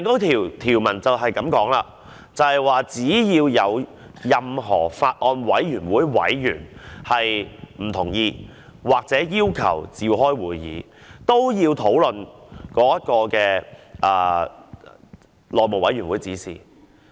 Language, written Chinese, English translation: Cantonese, 條文清楚寫明，只要有任何法案委員會委員不同意，或要求召開會議，都須討論這項內務委員會的指引。, The rules stipulated that as long as a Member of the Bills Committee indicates hisher disagreement or hisher wish to convene a meeting Members should be given the floor to discuss the guideline issued by the House Committee